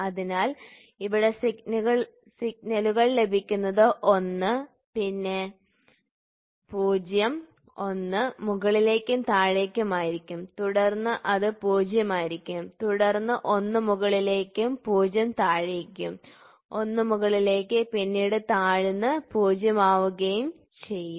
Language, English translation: Malayalam, So, here if you see the signals are given one, then it will be 0, 1 up and down and then it will be 0, then 1 up and down to be 0 1 up down and then it will be 0